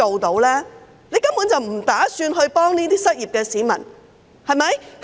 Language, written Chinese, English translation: Cantonese, 他根本不打算協助失業市民，對嗎？, He simply has not thought of helping the unemployed at all is that right?